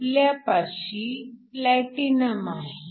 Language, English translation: Marathi, For example, if we have platinum